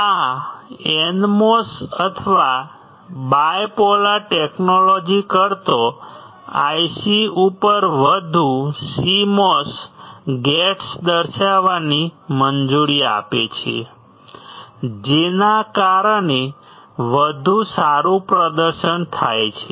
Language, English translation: Gujarati, This allows indicating more CMOS gates on an IC, than in NMOS or bipolar technology resulting in a better performance